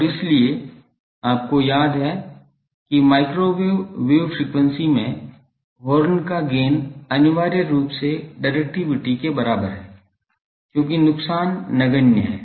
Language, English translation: Hindi, And so, you remember that in microwave wave frequency is the gain of horn is essentially equal to the directivity as losses are negligible